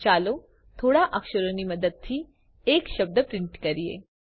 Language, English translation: Gujarati, Let us print a word using a few characters